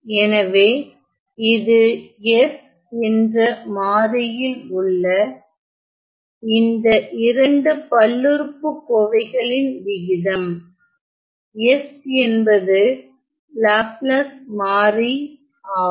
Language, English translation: Tamil, So, it is the ratio of 2 polynomials, in the variable s where s is a Laplace variable